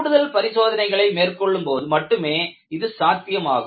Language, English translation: Tamil, That is possible only when you do additional test